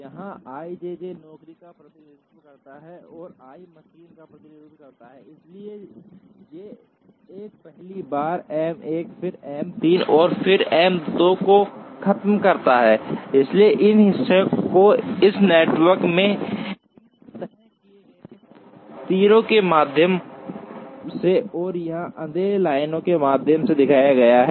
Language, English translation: Hindi, Here, i j j represents the job, and i represents the machine, so J 1 first visits M 1 then M 3 and then M 2 and finishes, so this part has been shown through these fixed arrows in this network and through dark lines here